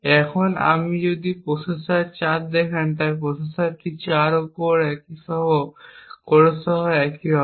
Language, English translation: Bengali, Now if you look at the processor 4 so processor 4 is also on the same for core with the same core ID